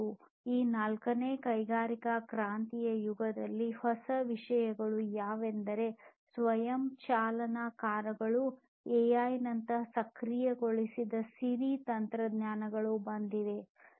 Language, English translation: Kannada, And in this fourth industrial revolution age, what are the new things that have come in technologies such as self driving cars, technologies such as AI enabled Siri, and so on